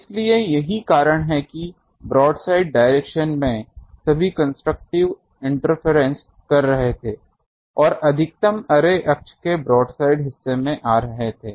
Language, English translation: Hindi, So, that is why in the broadside direction, all were getting interfere that constructive interference and the maximum was coming to the broadside of the array axis